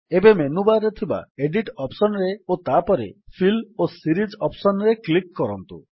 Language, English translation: Odia, Now click on the Edit in the menu bar and then on Fill and Series option